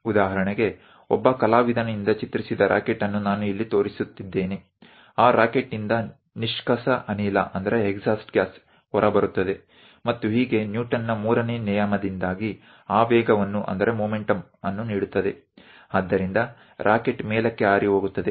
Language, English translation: Kannada, For example, here I am showing you a rocket which is drawn by an artist there will be exhaust gas coming out of that rocket, and thus giving momentum because of Newton's 3rd law, the rocket flies in the upward direction